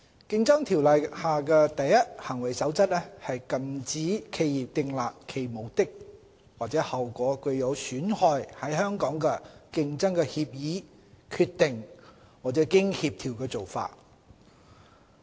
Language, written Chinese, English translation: Cantonese, 《競爭條例》下的"第一行為守則"禁止企業訂立其目的或效果具有損害在香港的競爭的協議、決定或經協調的做法。, The First Conduct Rule of the Competition Ordinance prohibits agreements decisions and concerted practices among businesses which have the object or effect of harming competition in Hong Kong